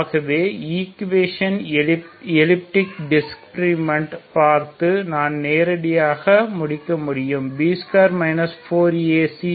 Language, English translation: Tamil, So equation is elliptic I can directly conclude by just looking at the discriminate B square minus 4 A C